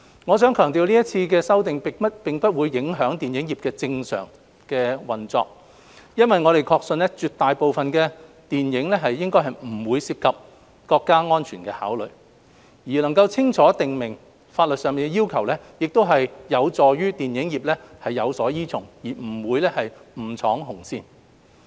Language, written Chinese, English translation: Cantonese, 我想強調今次修例並不影響電影業的正常運作，因為我們確信絕大部分的電影應不涉及國家安全的考慮，而清楚訂明法例要求能夠有助電影業有所依從，不會誤闖"紅線"。, I would like to stress that the current legislative amendment will not affect the normal operation of the film industry because we believe that most films do not involve national security considerations and listing the related legal requirements clearly will provide the film industry with guidance and prevent them from crossing the red line